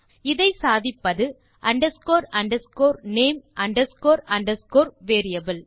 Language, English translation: Tamil, This is possible by using underscore underscore name underscore underscore variable